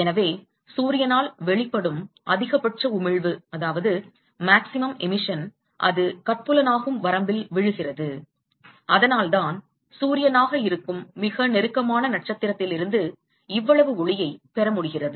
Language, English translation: Tamil, So, the maximum emission that is radiated by sun it falls in the visible range that is why we are able to get so much light from the closest star which is sun